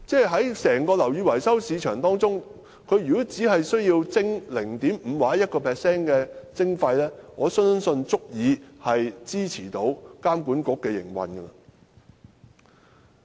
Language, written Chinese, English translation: Cantonese, 在整個樓宇維修市場當中，只需要撥出 0.5% 或 1% 的費用，我相信便足以支持監管局營運。, I believe if the whole building repairs and maintenance market can set aside 0.5 % or 1 % of the fees the operation of the authority will have sufficient support